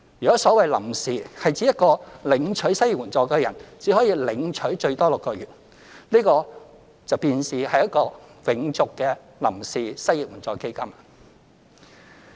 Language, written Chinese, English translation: Cantonese, 若所謂"臨時"是指每一個領取失業援助的人只可領取最多6個月，這便是一個"永續"的臨時失業援助基金。, If the term temporary means that each recipient of unemployment assistance can only receive assistance for a maximum of six months this temporary unemployment assistance will be a perpetual one